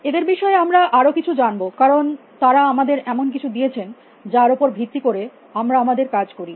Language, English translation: Bengali, Some little bit more on them, because they give us something which we base our work on